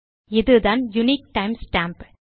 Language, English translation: Tamil, Now this is the unique time stamp